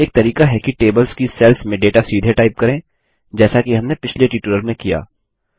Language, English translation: Hindi, One way is to directly type in data into the cells of the tables, which we did in the last tutorial